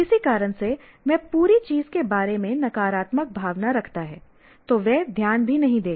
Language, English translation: Hindi, For some reason, he has a negative feeling about the whole thing, he will not pay even attention